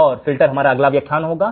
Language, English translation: Hindi, And filters will be our next lecture